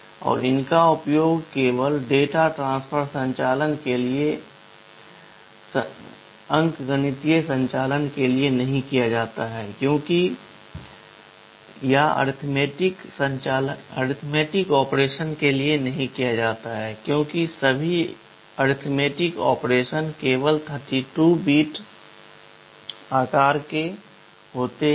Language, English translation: Hindi, And these are not used for arithmetic operations, only for data transfer operations because all arithmetic operations are only 32 bits in size